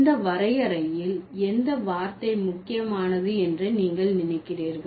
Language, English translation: Tamil, Which term do you think is important in this definition